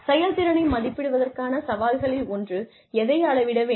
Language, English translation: Tamil, Then, the challenges, to appraising performance are, one is, what to measure